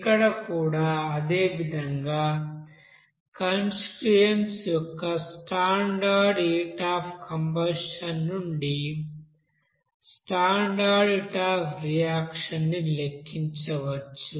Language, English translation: Telugu, Here also that same way same fashion, that you can calculate the standard heat of reaction from the standard heat of combustion of the constituents